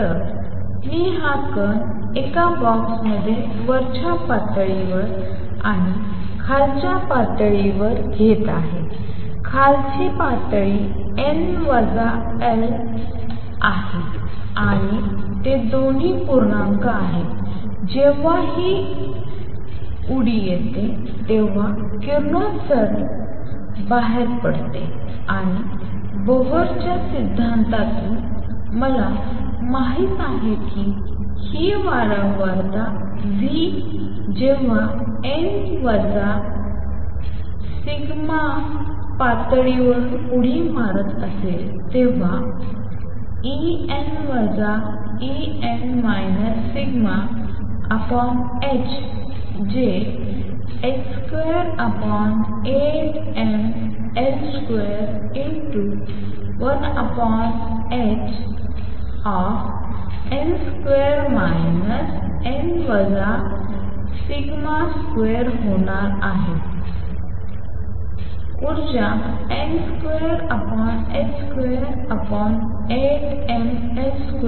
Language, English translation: Marathi, So, I am taking this particle in a box at an upper level n lower level; lower level is n minus tau, they both are integers and when this jump takes place, radiation comes out and from Bohr’s theory, I know that this frequency nu when it is jumping from nth level to n minus tau th level is going to be E n minus E n minus tau divided by h which is going to be h square over 8 m L square 1 over h n square minus n minus tau square, a correction; the energy has h square over 8 m L square times n square